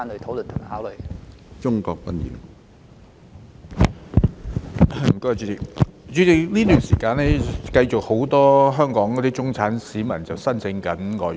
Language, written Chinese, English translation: Cantonese, 主席，在這一段時間，仍有很多香港中產市民申請外傭。, President during this period of time many middle - class citizens in Hong Kong are still applying for FDHs